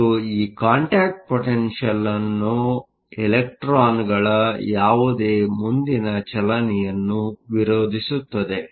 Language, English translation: Kannada, And this contact potential opposes further motion of electrons